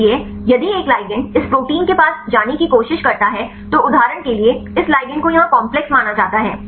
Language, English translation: Hindi, So, if a ligand tries to goes near to this protein right may for example, here this is the ligand here this makes the complex